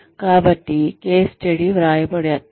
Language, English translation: Telugu, So, case studies are written